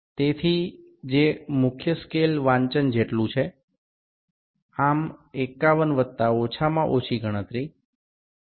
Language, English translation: Gujarati, So, which is equal to main scale reading is 51 plus least count is 0